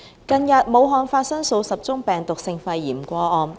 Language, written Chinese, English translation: Cantonese, 近日，武漢發生數十宗病毒性肺炎個案。, Recently several dozen cases of viral pneumonia have occurred in Wuhan